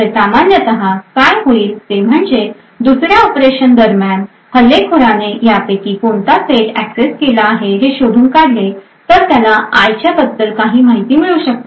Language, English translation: Marathi, So, what typically would happen is that if an attacker is able to determine which of these sets has been accessed during the second operation the attacker would then be able to gain some information about the value of i